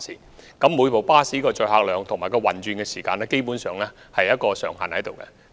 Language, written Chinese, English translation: Cantonese, 每輛穿梭巴士的載客量和運轉時間基本上設有上限。, Basically there is a maximum seating capacity and operation duration of each shuttle bus